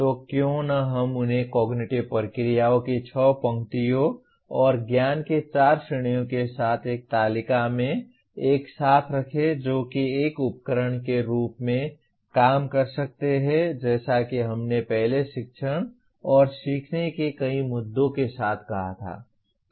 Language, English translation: Hindi, So why not we put them together in a table with six rows of cognitive processes and four categories of knowledge that can serve as a tool with as we said earlier with several issues of teaching and learning